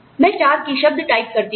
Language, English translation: Hindi, I type in four key words